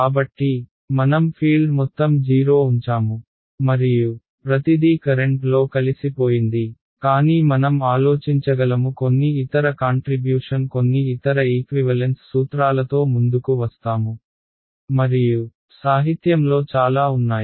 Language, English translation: Telugu, So, what I did I put all the field 0 and everything was absorbed into the current, but I can think of some other contribution will come up with some other equivalence principle right and there are several in the literature